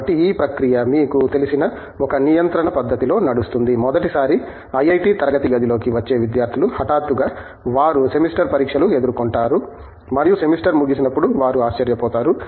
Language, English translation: Telugu, So, the process runs you know, runs in such a control fashion that students who are coming in for the first time into the IIT classroom, kind of they are surprised by the when the semester suddenly you face in semester exam and the semester is over